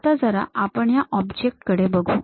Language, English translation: Marathi, Let us look at that object